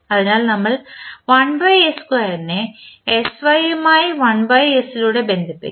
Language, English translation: Malayalam, So, we will connect with 1 by s square will connected to sy with 1 by s